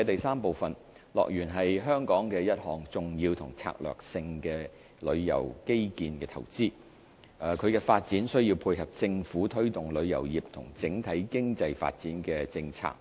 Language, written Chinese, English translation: Cantonese, 三樂園是香港的一項重要和策略性的旅遊基建投資，其發展需要配合政府推動旅遊業和整體經濟發展的政策。, 3 HKDL is an important and strategic tourism infrastructure investment of Hong Kong and its development has to tie in with the Governments policy to promote tourism industry and overall economic development